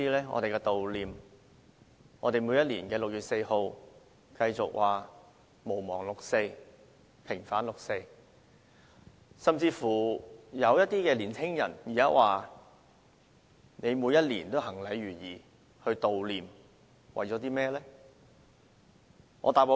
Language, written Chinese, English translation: Cantonese, 我們在每年的6月4日繼續說毋忘六四，平反六四，而一些年青人甚至問，我們每年行禮如儀地舉行悼念，為的是甚麼？, On 4 June every year we continue to chant Do not forget the 4 June incident and Vindicate the 4 June incident . Some young people even ask for what purpose we hold a commemoration as a matter of ritual every year